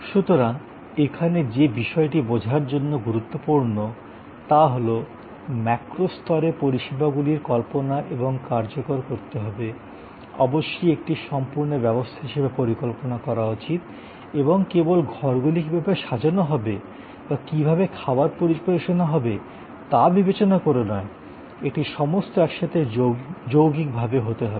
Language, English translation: Bengali, So, in a way what is important to understand here is, at a macro level services must be conceived and must be executed, must be designed as a total system and not ever in terms of just how the rooms will be arranged or how food will be delivered, it has to be all together part of composite whole